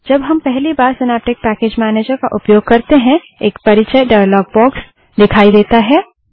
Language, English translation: Hindi, When we use the synaptic package manager for the first time, an introduction dialog box appears